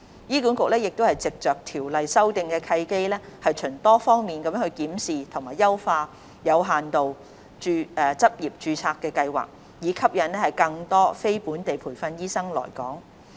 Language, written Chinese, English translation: Cantonese, 醫管局藉着修訂《醫生註冊條例》的契機，循多方面檢視及優化有限度執業註冊計劃，以吸引更多非本地培訓醫生來港。, HA has taken this opportunity to review and enhance the Limited Registration Scheme the Scheme in different aspects with the aim to attracting more non - locally trained doctors to practise in Hong Kong